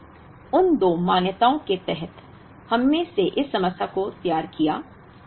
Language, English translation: Hindi, So, under those two assumptions, we formulated this problem